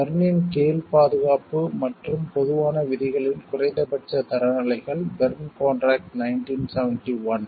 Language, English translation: Tamil, Minimum standards of protection and common rules under Berne; Berne contract 1971